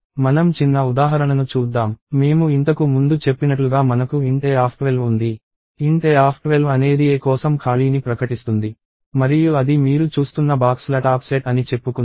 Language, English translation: Telugu, So, let us see the small example, we have int a of 12 as I said earlier, int a of 12 will declares space for a and let us say that is the top set of boxes that you are seeing